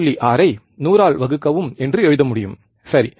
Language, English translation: Tamil, 6 divide by 100, right